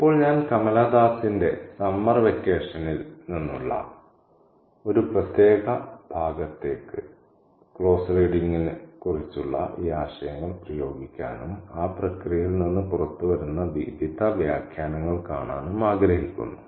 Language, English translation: Malayalam, Now, I want to apply these ideas about close reading to a particular passage from Kamala Dasa's summer vacation and see the various interpretations that come out of that process